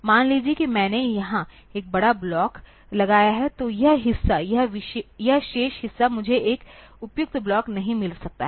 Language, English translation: Hindi, Suppose I put a big block here, then this part, this remaining part I may not find a suitable block